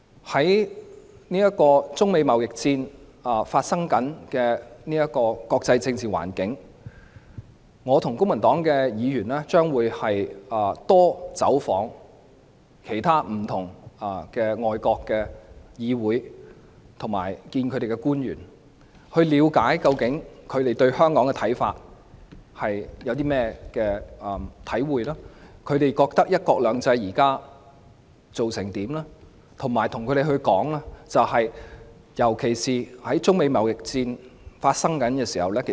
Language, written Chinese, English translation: Cantonese, 在中美貿易戰的國際政治環境下，我和公民黨的議員將會多走訪不同的外國議會及與外國官員會面，了解他們對香港有何看法，對"一國兩制"現時的成效有何看法，以及向他們表達香港不應被牽涉在中美貿易戰內的意見。, Under the international political climate of the Sino - United States trade war I and Members of the Civic Party will pay more overseas visits to meet with members of parliaments and public officials . We will find out their opinions on Hong Kong and the effectiveness of one country two systems and will express our view that Hong Kong should not be implicated in the Sino - United States trade war